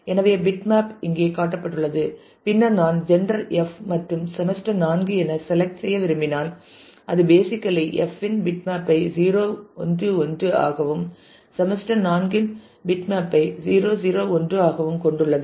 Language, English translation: Tamil, So, the bitmap are shown here and then if I want to do a select where the gender is F and semester is 4; then it is basically anding the bitmap of F which is 0 1 1 and the bitmap of semester 4 which is 0 0 1